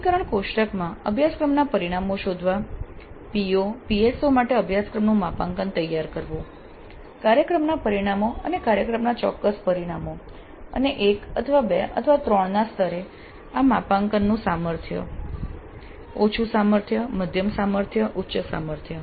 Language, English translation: Gujarati, So, locating the course outcomes in the taxonomy table, preparing course to PO, PSOs, COs to program outcomes and program specific outcomes and the strength of this mapping at the levels of 1 or 2 or 3, low strength, moderate strength, high strength